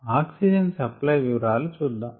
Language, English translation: Telugu, now let us look at details of oxygen supply